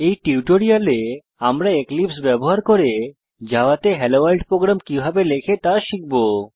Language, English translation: Bengali, In this tutorial, we are going to learn, how to write a simple Hello Worldprogram in Java using Eclipse